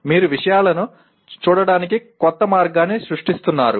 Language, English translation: Telugu, You are creating a new way of looking at things